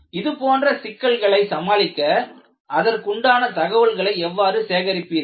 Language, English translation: Tamil, How do you go about collecting the information to decide on these issues